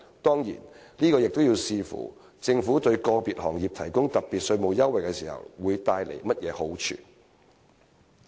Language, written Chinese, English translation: Cantonese, 當然，這要視乎我們對個別行業提供特別稅務優惠時，會帶來甚麼好處。, Of course we would always consider the benefits to be achieved when offering special tax concessions to particular industries